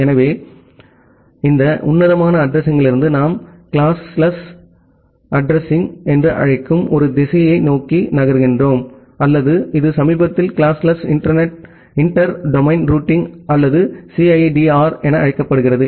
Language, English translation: Tamil, So, that is why from this classful addressing we are moving towards a direction which we call as the classless addressing or it is recently called as classless inter domain routing or CIDR